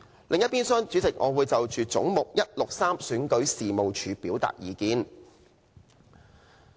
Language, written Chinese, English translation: Cantonese, 另一邊廂，主席，我會就"總目 163— 選舉事務處"表達意見。, Meanwhile Chairman I will express my views on Head 163―Registration and Electoral Office